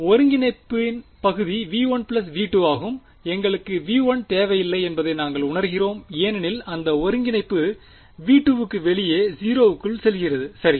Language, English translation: Tamil, It was in the originally the region of integration was v 1 plus v 2 then we realise we do not need to also include v 1 because that integrand is itself go into 0 outside v 2 right